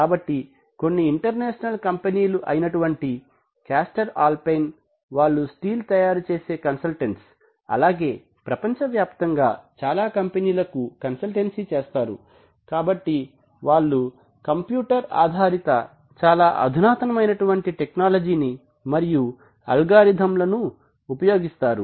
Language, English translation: Telugu, So international companies like let’s say caster alpine they are they are steel making consultants and they make they give their consultancies to factories the world over right, so they use very advanced knowledge and algorithms obviously based on computers